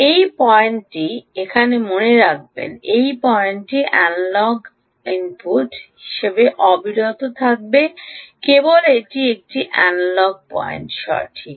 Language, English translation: Bengali, ok, this point continues to be a analogue input sensing, only its an analogue point, right